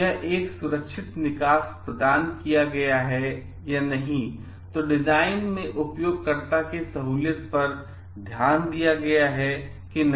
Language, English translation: Hindi, If a safe exit is provided or not, then whether it is like user friendliness has been given importance for the design or not